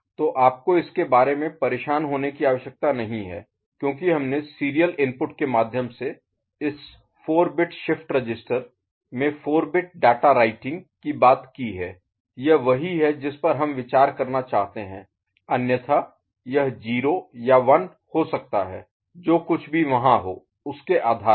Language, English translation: Hindi, So, you do not need to bother about that because we have talked about writing a 4 bit data into this 4 bit shift register through serial input, this is what we want to consider otherwise it could be 0 or 1 depending on whatever is there ok